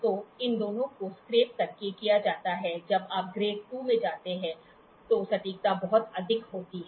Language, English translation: Hindi, So, these two are done by scraping, the accuracy is very high when you go to grade II